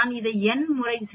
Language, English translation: Tamil, 09, I do it n times that is why I have 0